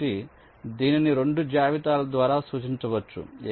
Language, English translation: Telugu, so this can be represented by two lists, top and bottom